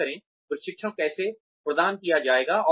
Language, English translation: Hindi, Decide on, how the training will be imparted